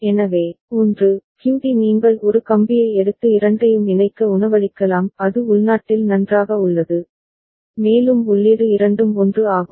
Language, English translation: Tamil, So, 1, QD you can feed to just take a wire and connect to both of them; that is fine internally it is getting ANDed both the input are 1